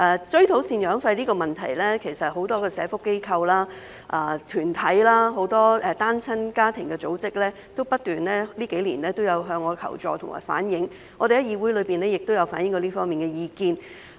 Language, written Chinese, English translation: Cantonese, 追討贍養費的問題，其實很多社福機構、團體、很多單親家庭的組織在這數年不斷向我求助和反映，我們在議會內亦有反映這方面的意見。, As regards the issue of recovering maintenance payments many social welfare institutions and groups as well as organizations for single - parent families have actually kept seeking help from me and conveying their views to me over the years . In this connection we have also reflected our views on this issue in the legislature